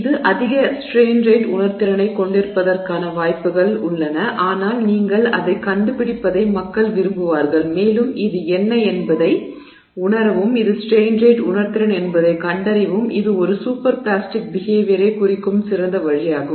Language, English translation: Tamil, Chances are it has high strain rate sensitivity but you would people would prefer that you give you, you figure that out and you find out what is at strain rate sensitivity and that's a much better way of indicating super plastic behavior